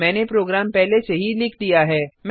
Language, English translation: Hindi, I have already made the program